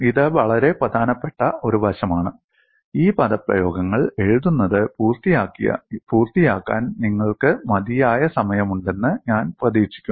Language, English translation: Malayalam, So, very important aspect and I hope you had sufficient time to complete writing these expressions